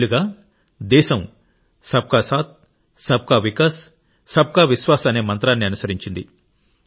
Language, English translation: Telugu, Over these years, the country has followed the mantra of 'SabkaSaath, SabkaVikas, SabkaVishwas'